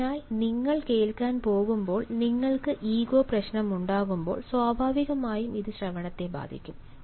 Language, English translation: Malayalam, so when you go to listen and you have the ego problem, naturally it will affect listening